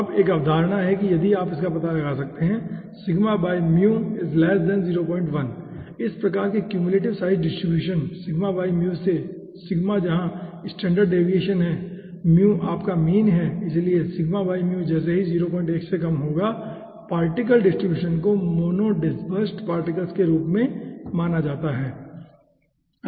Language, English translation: Hindi, now there is a concept that if you can find out that sigma by mu of this type of cumulative size distribution, where as sigma is standard deviation and mu is your mean, so sigma by mu as will be less than 0 point 1 to consider the particle distribution as mono dispersed particles